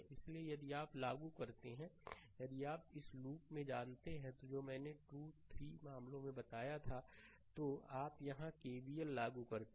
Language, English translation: Hindi, So, if you apply if you apply know in this loop whatever I told previously 2 3 cases, you apply KVL here